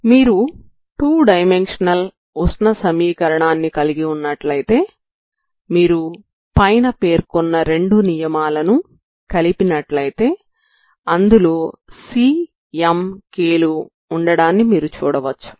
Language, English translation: Telugu, So if you have a two dimensional heat equation so you will see that if you combine this two it will involve C m and k, okay